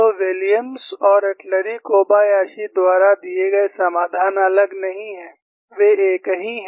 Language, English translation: Hindi, So, the solution given by Williams and Atluri Kobayashi are not different; they are one and the same, as an equivalence